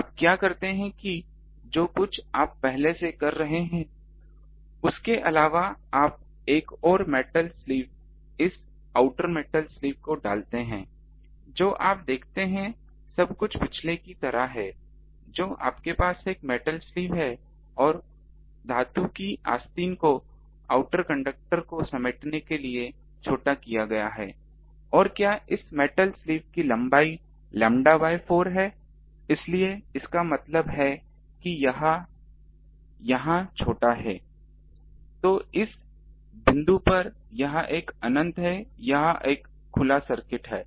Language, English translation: Hindi, What you do that whatever previously you are doing apart from that you put another metal sleeve this outer metal sleeve you see inside everything is like the previous one you have a metal sleeve and that metal sleeve is shorted to coax outer conductor here and what is the length of this metal sleeve lambda by 4, so that means, it is shorted here